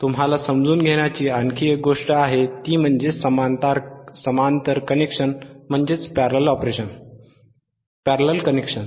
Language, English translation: Marathi, There is one more thing that you have to understand is the parallel connection is parallel